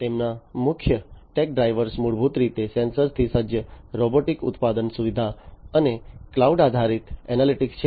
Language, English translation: Gujarati, So, their main tech drivers are basically the sensor equipped robotic manufacturing facility and cloud based analytics